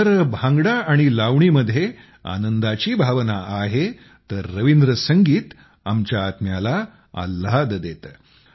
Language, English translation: Marathi, If Bhangra and Lavani have a sense of fervor and joy, Rabindra Sangeet lifts our souls